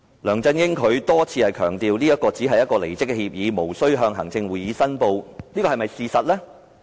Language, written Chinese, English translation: Cantonese, 梁振英多番強調，這只是一份離職協議，無須向行政會議申報，這是否事實？, LEUNG Chun - ying has repeatedly stressed that the agreement signed is merely a resignation agreement; hence he did not need to report to the Executive Council